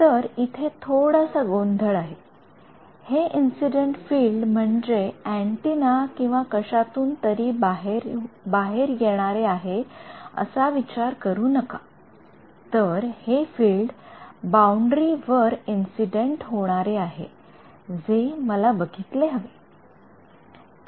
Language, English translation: Marathi, So, slight confusion over here, this incident field do not think of it as the field that is coming out of an antenna or something, I mean it is not it is the field that is being incident on the boundary, which I should observe